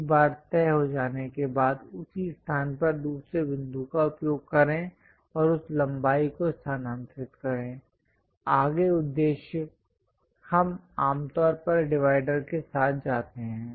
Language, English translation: Hindi, Once that is fixed, use another point at same location and transfer that length; further purpose, we usually go with dividers